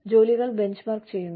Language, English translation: Malayalam, They help us benchmark jobs